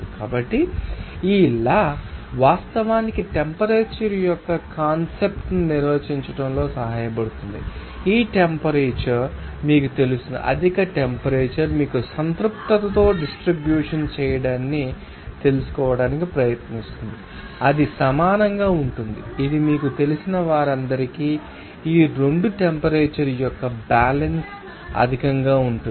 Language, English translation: Telugu, So, this law helps to define the concept of temperature actually so, this temperature will you know higher temperature will try to you know distribute in saturated with that it will equal it will make all you know that equilibrium of this 2 temperature of higher to lower